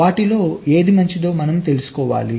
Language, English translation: Telugu, you want to find out which one of them is better